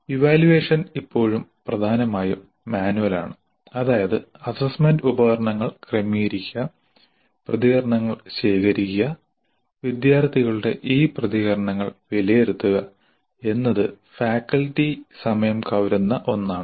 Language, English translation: Malayalam, Evaluation was and still is dominantly manual, which means that setting the assessment instruments, collecting the responses and evaluating these responses of the students consumed considerable amount of faculty time